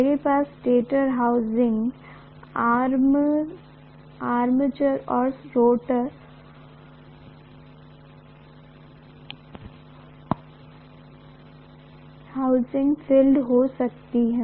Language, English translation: Hindi, I can have stator housing the armature and rotor housing the field